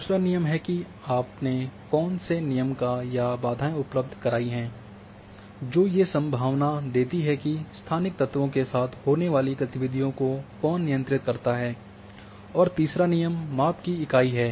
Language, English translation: Hindi, Second is the rule, what are the rules or constraints you have to provide the possibility that control the movement allowed along the spatial elements and third one is unit of measurement